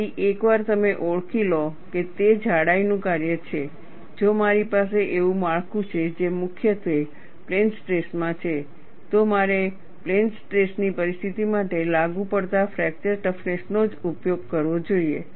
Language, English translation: Gujarati, So, once you recognize it is a function of thickness, if I am having a structure which is primarily in plane stress, I should use only the fracture toughness applicable for plane stress situation